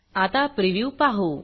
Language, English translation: Marathi, Lets now look at a preview